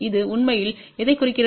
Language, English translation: Tamil, What it really implies